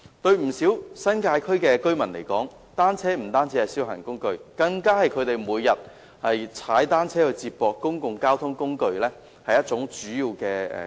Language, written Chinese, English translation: Cantonese, 對不少新界區的居民來說，單車不單是消閒工具，更是他們每天用以接駁公共交通工具的主要工具。, To many residents in the New Territories bicycles are not only for recreation purposes but also a major tool used daily for connecting with public transport